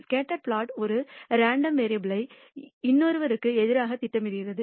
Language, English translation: Tamil, The scatter plot plots one random variable against another